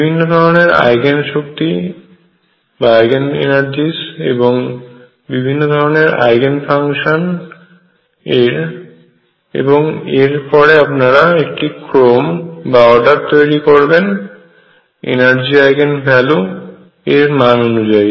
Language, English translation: Bengali, Many, many Eigen energies, many, many Eigen functions and then you order them according to the energy Eigen values you are getting